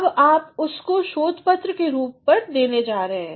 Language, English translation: Hindi, Now, you are going to give it the form of our research paper